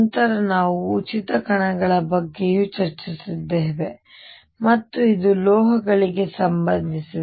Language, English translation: Kannada, Then we have also discussed free particles and this was related to metals